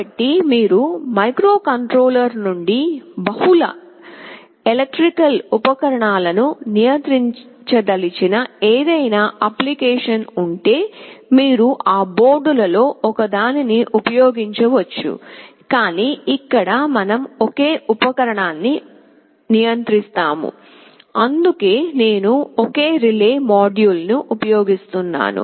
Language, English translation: Telugu, So, if you have any application where you want to control multiple electrical appliances from the same microcontroller, you can use one of those boards, but here we shall be controlling a single appliance that is why I am using a single relay module